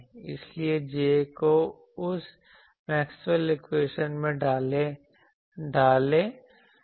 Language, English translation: Hindi, So, put J in the Maxwell’s equation you get this